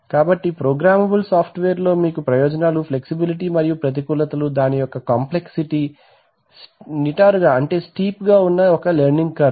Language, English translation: Telugu, So in programmable software, you, the advantages is flexibility and the disadvantages is complexity and a very steep learning curve